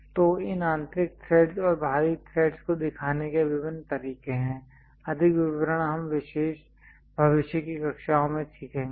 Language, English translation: Hindi, So, there are different ways of showing these internal threads and external threads, more details we will learn in the future classes about that